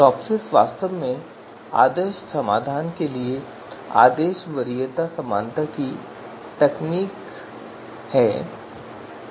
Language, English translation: Hindi, So TOPSIS actually stands for Technique of Order Preference Similarity to the Ideal Solutions